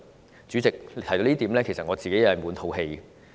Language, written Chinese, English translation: Cantonese, 代理主席，提到這點，我自己其實滿肚氣！, Deputy President I always have these grievances whenever I mention this issue